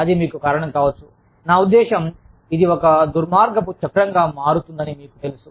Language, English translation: Telugu, That can cause you to, i mean, it can have a, you know it can become a vicious cycle